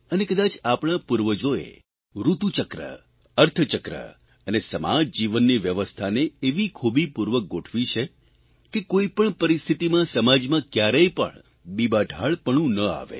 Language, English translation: Gujarati, Perhaps our ancestors intricately wove the annual seasonal cycle, the economy cycle and social & life systems in a way that ensured, that under no circumstances, dullness crept into society